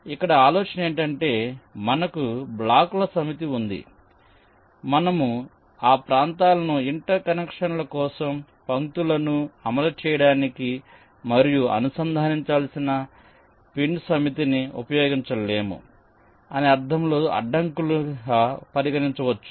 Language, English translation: Telugu, here the the idea is that we have a set of blocks ok, which can also be regarded, ah, as obstacles, in the sense that we cannot use those areas for interconnections, for running the lines, and a set of pins which needs to be connected